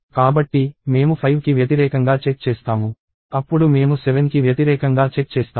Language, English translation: Telugu, So, we check against 5; then we check against 7